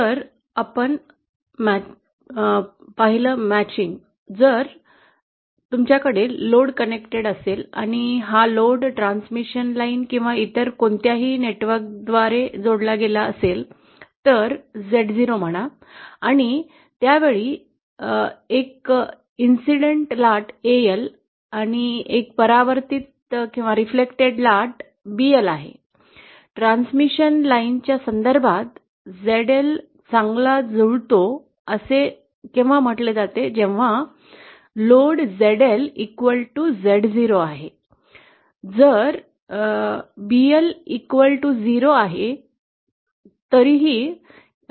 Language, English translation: Marathi, So matching we saw; was if you have a load connected and if this load is supplied by a transmission line or any other network which has a characteristic incidence Z 0 say; and there is an incident wave AL and a reflected wave BL then; our load ZL is said to be well matched with respect to the transmission line having a characteristic impedance Z 0, if BL is equal to 0